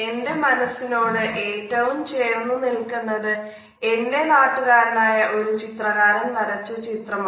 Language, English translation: Malayalam, However the painting which is closest to my heart is a painting by one of my countrymen